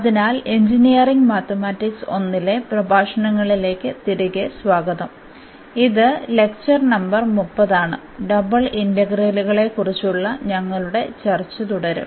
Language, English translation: Malayalam, So, welcome back to the lectures on Engineering Mathematics I and this is lecture number 30 and you will continue our discussion on Double Integrals